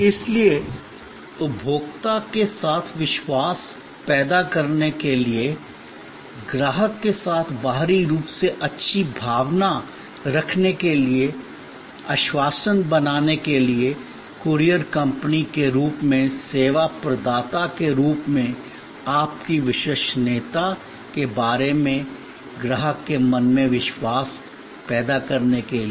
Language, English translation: Hindi, So, to create trust externally with the consumer, to create good feeling externally with the customer, to create assurance, to create the trust in customer's mind about your reliability as a service provider as a courier company